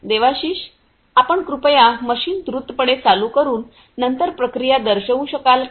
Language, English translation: Marathi, Devashish, could you please quickly switch on the machine and then demonstrate the process